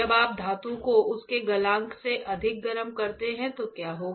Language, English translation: Hindi, When you heat the metal beyond its melting point, what will happen